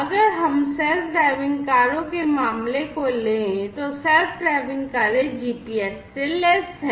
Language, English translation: Hindi, If, we take the case of the self driving cars, the self driving cars are equipped with GPS